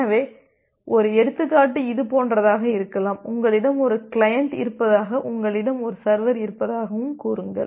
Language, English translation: Tamil, So, the one example can be something like this, say you have a client and you have a server